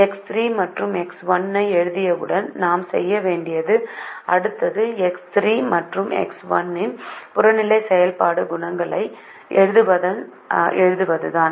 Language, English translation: Tamil, as soon as write x three and x one, the next thing i have to do is to write the objective function coefficients of x three and x one